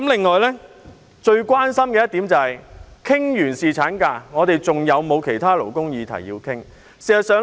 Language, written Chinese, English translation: Cantonese, 我最關心的是，我們完成侍產假的討論後，還要討論其他勞工議題嗎？, My biggest concern is whether there will be other labour issues for discussion after settling this issue on paternity leave